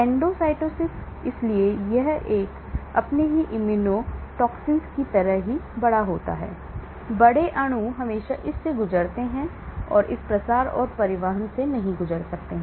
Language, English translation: Hindi, Endocytosis , so it is like gobbling up, like all your immunotoxins, large molecules always go through this, large molecules cannot go through this diffusion and transport